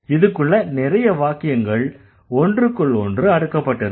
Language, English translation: Tamil, So, there are so many sentences stacked inside one right